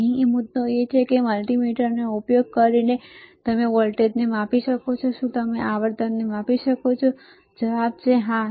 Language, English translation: Gujarati, The point here is that, using the multimeter can you measure voltage can you measure frequency the answer is, yes